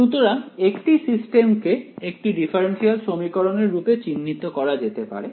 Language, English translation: Bengali, So, a system can also be characterized by means of a differential equation right